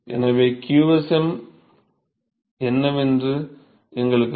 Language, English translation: Tamil, And so, we know what qsm